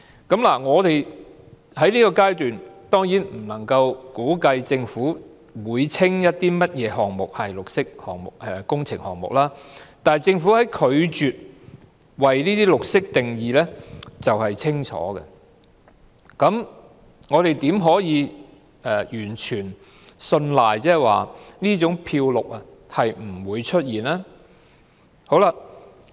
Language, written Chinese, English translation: Cantonese, 在現階段，我們未能估計政府會稱甚麼項目為綠色工程項目，但政府拒絕為"綠色"定義卻是清楚的事實，我們怎能確信不會出現這種"漂綠"情況呢？, At this stage we are unable to conjecture what projects will be named green works projects by the Government . Yet the Governments refusal to define green is an obvious fact . How can we be convinced that such a situation of greenwashing will not occur?